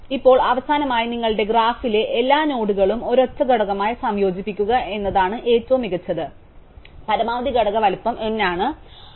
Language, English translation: Malayalam, Now finally, the best you can do is to combine all the nodes in your graph into a single component, the maximum component size is n